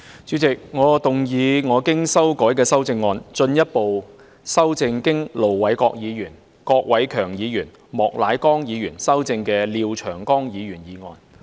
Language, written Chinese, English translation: Cantonese, 主席，我動議我經修改的修正案，進一步修正經盧偉國議員、郭偉强議員及莫乃光議員修正的廖長江議員議案。, President I move that Mr Martin LIAOs motion as amended by Ir Dr LO Wai - kwok Mr KWOK Wai - keung and Mr Charles Peter MOK be further amended by my revised amendment